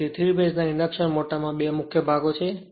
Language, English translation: Gujarati, So, the 3 phase induction motor has 2 main parts